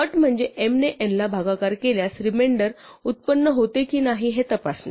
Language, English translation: Marathi, The condition is to check whether m divided by n actually produces a remainder